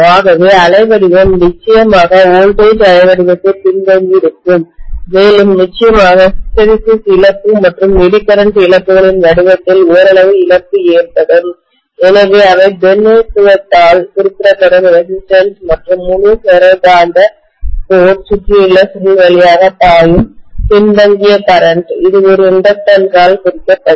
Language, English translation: Tamil, So I am going to have essentially the waveform will be lagging behind definitely the voltage waveform and we will have definitely there will be some amount of loss in the form of hysteresis loss and Eddy current losses, so those will be represented by the resistance and the lagging current which is flowing through the entire ferromagnetic core wound coil, that will be represented by an inductance